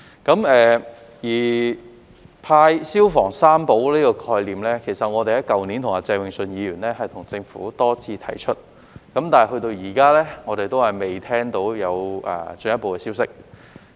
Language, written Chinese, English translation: Cantonese, 關於派"消防三寶"的概念，其實我們去年與鄭泳舜議員也曾多次向政府提出，但至今我們仍然未聽到有進一步消息。, In fact last year we and Mr Vincent CHENG raised the idea of providing the three treasures of firefighting tools with the Government many times but we have not heard any further news about it so far